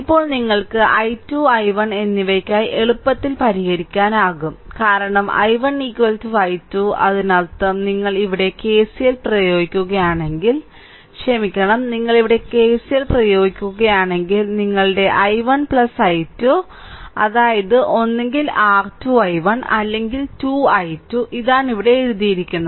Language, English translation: Malayalam, So, right this is the first thing now you can easily solve your what you call for i 2 and i 1, because i 1 is equal to i 2 and i is that means, here if you apply KCL here i sorry, let me clear it if you apply KCL here, your i is equal to i 1 plus i 2 right, that is is equal to either 2 i 1, or is equal to 2 i 2 this is what has been written here